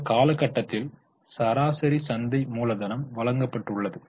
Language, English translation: Tamil, Average market capitalization over the period is also given